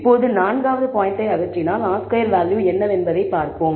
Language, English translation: Tamil, Now, let us remove all the other points one by one and let us see how the R squared value changes